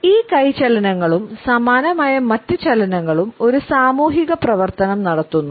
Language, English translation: Malayalam, These hand movements as well as similar other perform a social function